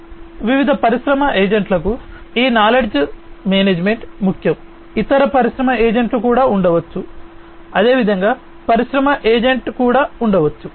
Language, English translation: Telugu, So, this knowledge management is important for different industry agents, there could be other industry agents, likewise, and industry agent, n